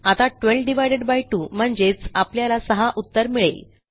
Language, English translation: Marathi, So, 12 divided by 2 should give 6